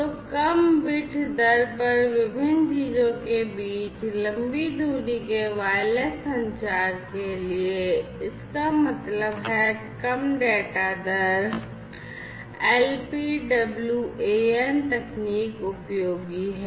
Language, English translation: Hindi, So, for long range wireless communication between different things at a low bit rate; that means, low data rate, LPWAN techniques are useful